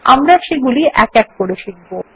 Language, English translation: Bengali, We will learn about each one of them one by one